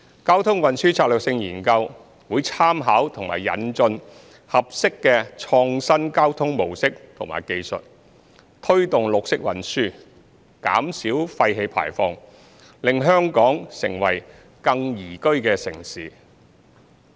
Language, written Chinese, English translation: Cantonese, 《交通運輸策略性研究》會參考和引進合適的創新交通模式和技術，推動綠色運輸，減少廢氣排放，令香港成為更宜居城市。, TTSS will make reference to and introduce suitable innovative transport models and technology to promote green transport and reduce emission making Hong Kong a more livable city